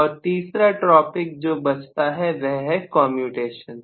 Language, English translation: Hindi, And the third topic that is left over still is commutation